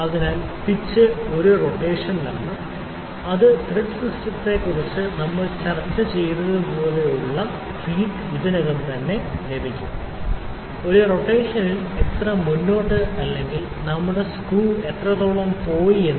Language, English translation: Malayalam, So, pitch is in one rotation it is the pitch of thread like we have discussed the thread system will already get the feed of that, one rotation how much forward or how much had our screw goes in one rotation